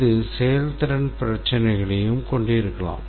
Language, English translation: Tamil, It can also contain performance issues